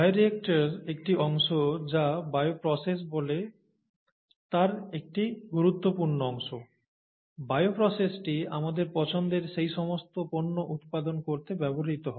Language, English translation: Bengali, The bioreactor is a part, an important part of what is called a bioprocess, and the bioprocess is the one that is used to produce all these products of interest to us